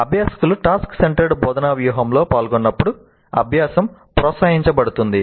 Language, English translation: Telugu, Learning is promoted when learners engage in a task centered instructional strategy